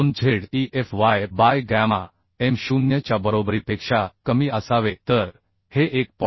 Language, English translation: Marathi, 2Ze Fy by gamma m0 okay So this will become 1